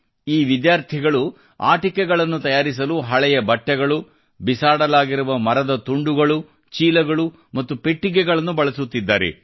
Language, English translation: Kannada, These students are converting old clothes, discarded wooden pieces, bags and Boxes into making toys